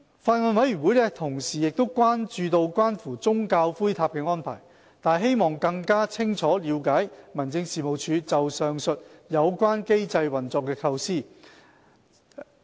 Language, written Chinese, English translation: Cantonese, 法案委員會同時亦關注關乎宗教骨灰塔的安排，但希望更清楚了解民政事務局就上訴及有關機制運作的構思。, Meanwhile the Bills Committee is also concerned about the arrangements concerning religious ash pagodas and it wishes to have a better understanding of the Home Affairs Bureaus idea regarding the operation of the appeal and relevant mechanism